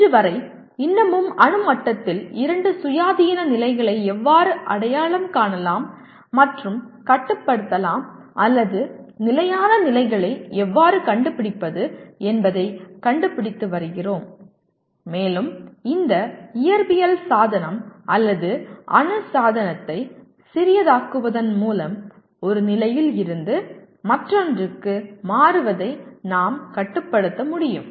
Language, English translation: Tamil, Till today, even now people are still finding out at atomic level how can we identify two independent states and control or rather stable states and where we can control this switching over from one state to the other by making that physical device or atomic device smaller and smaller we are able to kind of bring more and more memory into a smaller and smaller place